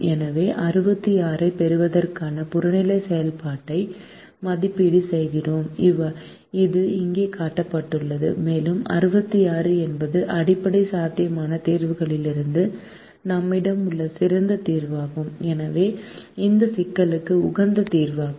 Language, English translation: Tamil, so we evaluate the objective function to get sixty six, which is shown here, and sixty six is the best solution that we have out of the basic feasible solutions and hence is the optimum solution to this problem